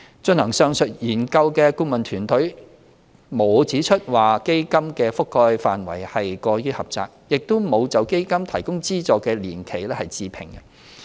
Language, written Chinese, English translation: Cantonese, 進行上述研究的顧問團隊並沒有指出基金的覆蓋範圍過於狹窄，亦沒有就基金提供資助的年期置評。, The consultant team conducting the above study did not say that the coverage of CDF was too narrow nor did it comment on the funding period